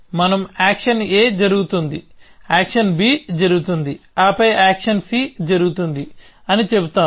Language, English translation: Telugu, We will just say action a happens, then action b happens, then action c happens